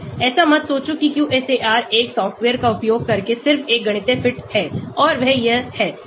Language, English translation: Hindi, Do not think QSAR is just a mathematical fit using a software and that is it